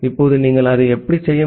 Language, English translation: Tamil, Now how you can do that